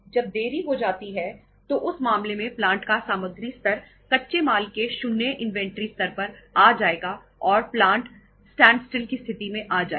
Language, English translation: Hindi, When it gets delayed in that case plantís material level will come down to zero inventory level of raw material will come to zero and plant will come to a standstill situation of the standstill